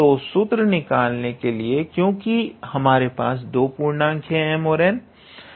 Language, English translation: Hindi, So, to derive the formula let us write since now we have two integers